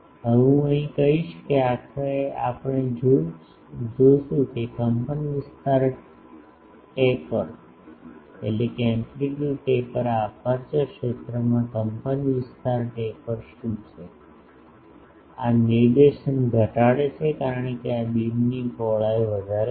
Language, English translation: Gujarati, Now, here I will say that ultimately we will see that the amplitude taper what is the this that amplitude taper in the aperture field; these reduces the directivity because, this increases the beam width